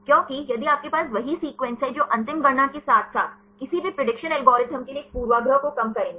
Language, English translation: Hindi, Because if you have the same sequences that will reduce a bias in the final calculations as well as for any prediction algorithms